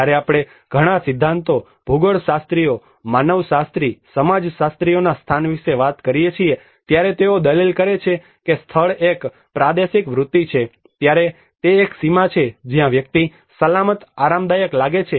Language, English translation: Gujarati, When we talk about place many of the theories geographers, anthropologist, sociologists they argue as place is a territorial instinct, it is a boundary which where a person feels safe comfortable delivered